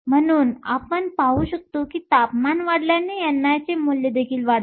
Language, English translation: Marathi, So, we can see that with increasing in temperature, the value of n i also increases